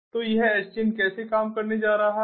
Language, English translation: Hindi, so this is how this sdn is going to work